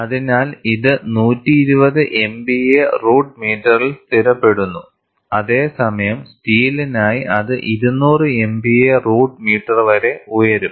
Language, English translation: Malayalam, So, it stabilizes around 120 M p a root meter, whereas it can go as high has around 200 M p a root meter for steel